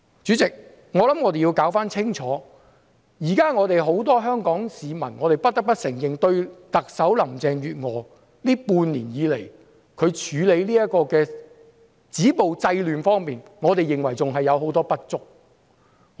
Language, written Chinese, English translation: Cantonese, 主席，我們要弄清楚，現時很多香港市民......我們不得不承認，特首林鄭月娥半年來處理止暴制亂的工作，還有很多不足之處。, President we have to make it clear that many Hong Kong citizens now We have to admit that Chief Executive Carrie LAM has had a lot of shortcomings for half a year when dealing with her duty to stop violence and curb disorder